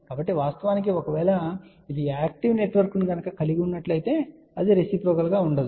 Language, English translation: Telugu, So, of course, if it consists of active network then it will not be reciprocal